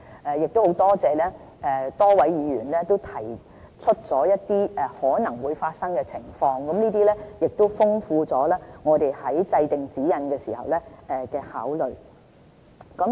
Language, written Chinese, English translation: Cantonese, 很感謝多位議員提出一些可能發生的情況，豐富了我們在制訂指引時的考慮。, We are grateful that Members have constructed many possible scenarios which have widened our scope of consideration when we lay down the guidelines